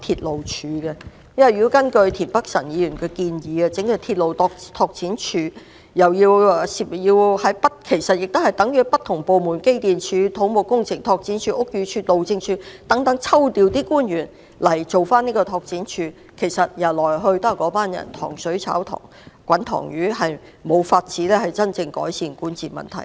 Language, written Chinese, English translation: Cantonese, 如果根據田北辰議員的建議成立鐵路拓展署，其實等於從不同部門如機電工程署、土木工程拓展署、屋宇署及路政署等抽調官員執行有關工作，來來去去由同一群人負責，無法真正改善管治問題。, Mr Michael TIEN proposed to set up a railway development department which is nothing more than a redeployment of the same group of officers from different government departments such as the Electrical and Mechanical Services Department Civil Engineering and Development Department Buildings Department and Highways Department to perform the relevant duties . This will not be able to genuinely improve the governance problem